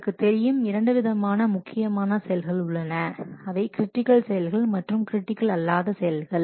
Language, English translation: Tamil, So, there are two major activities as you know, critical activity and non critical activity